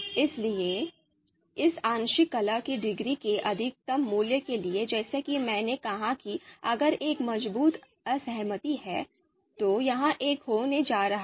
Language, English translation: Hindi, So for the maximum value of this partial you know discordance degree as I said if there is a strong disagreement, then this is going to be one